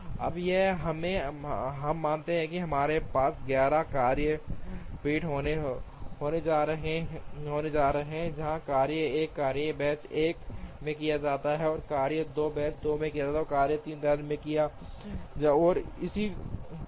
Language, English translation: Hindi, Now, if we assume that we are going to have 11 work benches, where task 1 is done in work bench 1, task 2 in bench 2, task 3 in bench 3, and so on